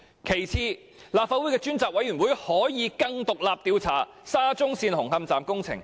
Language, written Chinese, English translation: Cantonese, 其次，立法會的專責委員會可以更獨立地調查沙中線紅磡站工程問題。, Secondly a select committee set up by the Legislative Council can inquire into the SCL Hung Hom station construction problem in a more independent manner